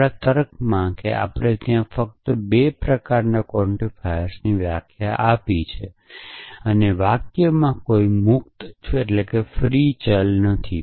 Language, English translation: Gujarati, So, in our logic that we have defined there only 2 kinds of quantifiers and in the sentences there are no free variables